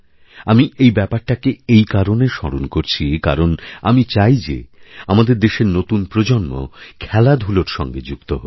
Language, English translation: Bengali, I am reminding you of this because I want the younger generation of our country to take part in sports